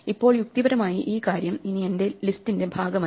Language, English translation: Malayalam, Now, logically this thing is no longer part of my list but where has it gone